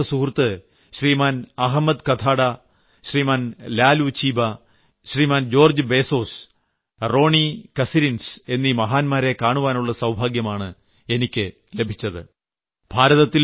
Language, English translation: Malayalam, I had the privilege of meeting these grat personalities, these close associates of Nelson Mandela such as Shriman Ahmed Kathrada, Shriman Laloo Chiba, Shriman George Bizos and Ronnie Kasrils